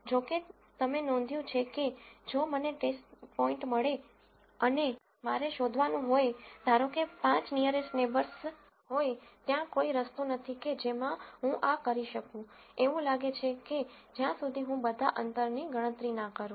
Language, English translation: Gujarati, However, if you notice, if I get a test data point and I have to find let us say the 5 closest neighbor, there is no way in which I can do this, it looks like, unless I calculate all the distances